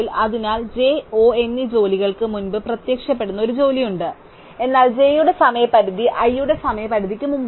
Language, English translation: Malayalam, So, there is a job i which appears before jobs j and O, but the deadline of j is strictly before the deadline of i